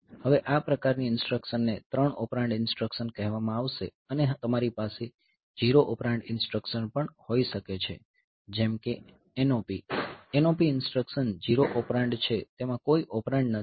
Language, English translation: Gujarati, Now, this one this type of instruction they will be called 3 operand instructions and you can also have 0 operand instruction like say NOP, NOP instruction is 0 operand no operand is there